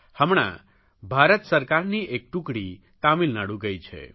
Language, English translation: Gujarati, Right now, a team of the Central government officials are in Tamil Nadu